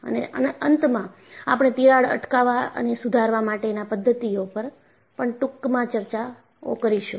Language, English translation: Gujarati, And, finally we will also have a brief discussion on Crack Arrest and Repair Methodologies